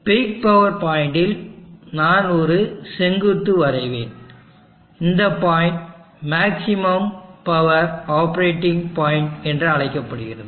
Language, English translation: Tamil, And at the big power point, I will draw a vertical, and this point operating point is called peak power operating point